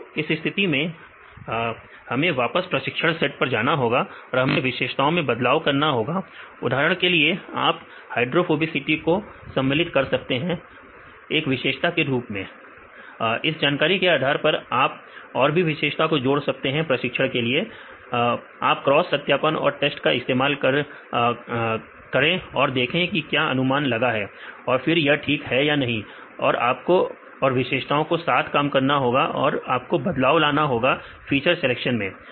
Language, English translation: Hindi, So, when in this case we have to go back in the training set we need to change the features; for example, you can include the hydrophobicity as one of the features you can from this knowledge you can add more features and use a training, use a cross validation and use a test if you are able to predict then it is fine; otherwise you need to work on this features and you need to manipulate the giving the feature selections